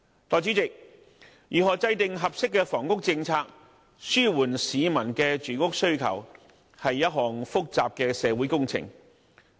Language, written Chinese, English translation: Cantonese, 代理主席，如何制訂合適房屋政策，紓緩市民的住屋需求，是一項複雜的社會工程。, Deputy President the formulation of an appropriate housing policy to alleviate peoples housing demand is a complex social engineering project